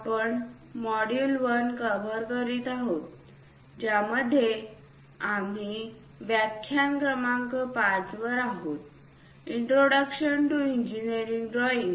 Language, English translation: Marathi, We are covering Module 1, in which we are on lecture number 5; Introduction to Engineering Drawing